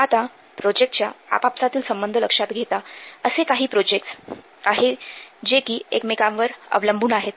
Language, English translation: Marathi, So, taking account of dependencies between projects, there are some projects they are dependent